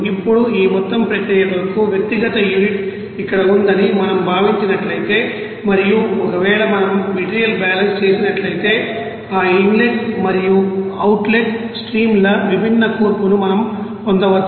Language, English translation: Telugu, Now if we consider that individual unit for this whole process is here and if we do the material balance we can get different you know composition of that inlet and outlet streams